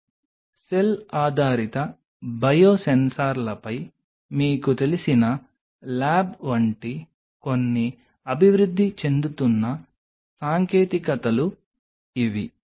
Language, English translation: Telugu, These are some of the emerging technologies like you know lab on a chip cell based Biosensors